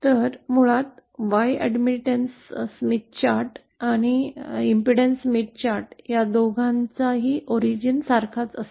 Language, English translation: Marathi, So the origin corresponds to the matching for both the Admittance Smith Chart as well as the Impedance Smith Chart